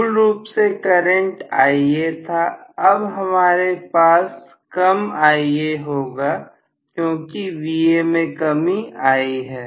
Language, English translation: Hindi, So, originally the current was Ia, now I am going to have, Ia reduced because Va has reduced